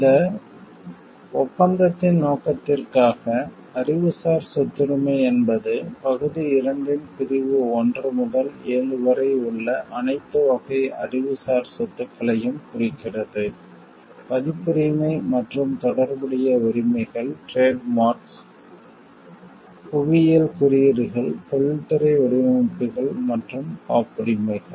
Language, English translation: Tamil, For the purpose of this agreement, the term intellectual property refers to all categories of the intellectual property that are the subject of sections one through seven of part 2; Copyrights and related rights, Trademarks, Geographical Indications, Industrial designs and Patents